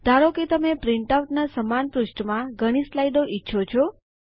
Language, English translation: Gujarati, Lets say you want to have a number of slides in the same page of the printout